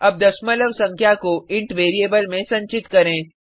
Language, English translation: Hindi, Now let us store a decimal number in a int variable